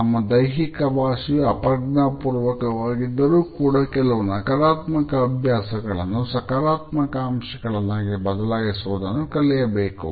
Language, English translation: Kannada, Even though, our body language is mainly unconscious we can identify certain negative habits and learn to replace them by a more positive aspect of body language